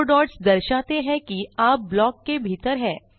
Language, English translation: Hindi, The four dots tell you that you are inside a block